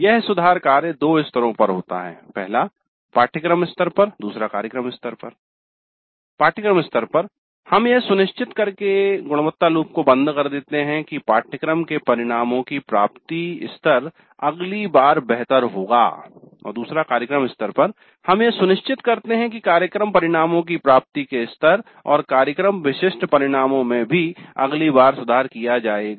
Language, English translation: Hindi, At the course level we are closing the quality loop by ensuring that the attainment levels of the course outcomes are better next time and at the program level we are ensuring that the attainment levels of program outcomes and program specific outcomes are also improved at the next level